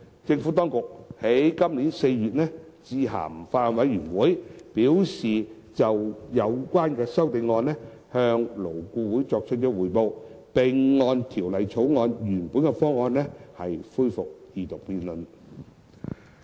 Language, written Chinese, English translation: Cantonese, 政府當局於今年4月致函法案委員會，表示已就有關修正案向勞顧會作出匯報，並會按《條例草案》原本方案，恢復二讀辯論。, In April this year the Administration issued a letter to the Bills Committee noting that it had reported to LAB on the amendments concerned and that the Second Reading debate on the Bill could be resumed based on the original proposals